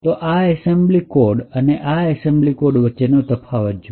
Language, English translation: Gujarati, So, notice the difference between this assembly code and this assembly code